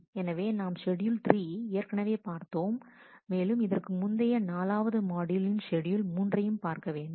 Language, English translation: Tamil, So, we had seen schedule 3, will have to refer to the earlier module 4 schedule 3